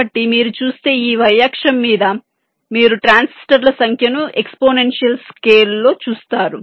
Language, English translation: Telugu, so this light, if you see so, on the y axis you see the number of transistors in an exponential scale